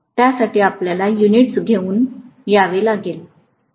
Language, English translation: Marathi, We will have to come up with the units for this